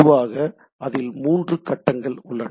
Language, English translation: Tamil, Usually there is a three phase things